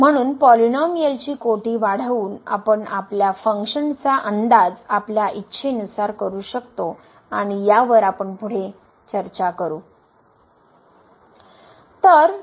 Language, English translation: Marathi, So, by increasing the degree of the polynomial we can approximate our function as good as we like and we will discuss on these further